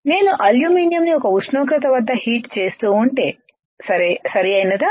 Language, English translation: Telugu, If I keep on heating the aluminum at some temperature, right